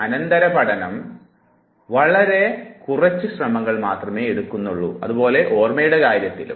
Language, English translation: Malayalam, Subsequent learning takes very few attempts so is the case with the memory